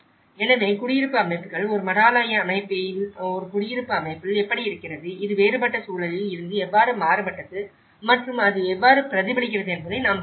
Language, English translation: Tamil, So, this is how what we can see is the settings of the settlement setting, how it is at a monastral setting, at a dwelling setting, how it has varied from a different context and how it is reflected